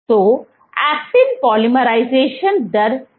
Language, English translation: Hindi, So, what is actin polymerization rate